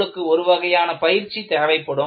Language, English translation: Tamil, You will have to have some kind of training